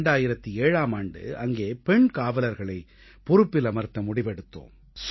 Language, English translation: Tamil, In 2007, it was decided to deploy female guards